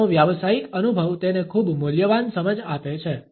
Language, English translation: Gujarati, His professional experience makes it a very valuable insight